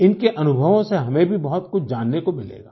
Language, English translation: Hindi, We will also get to know a lot from their experiences